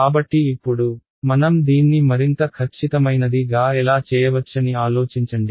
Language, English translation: Telugu, So now, you can think how can we make this more accurate ok